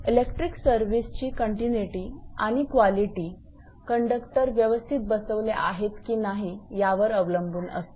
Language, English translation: Marathi, The continuity and quality of electric service depend largely on whether the conductors have been properly installed